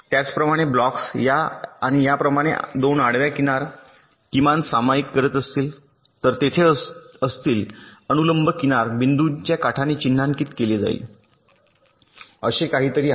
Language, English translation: Marathi, similarly, if the blocks are sharing horizontal edge, like this and these two, there will be vertical edge which will be marked by dotted edge, something like this